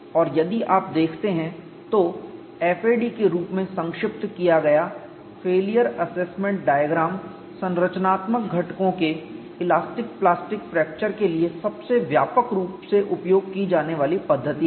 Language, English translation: Hindi, And if you look at the failure assessment diagram abbreviated as FAD is the most widely used methodology for elastic plastic fracture of structural components